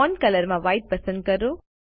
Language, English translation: Gujarati, In Font color choose White